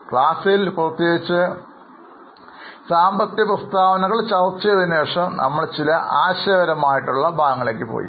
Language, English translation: Malayalam, In the class particularly after discussing the financial statements, we have gone into some of the conceptual parts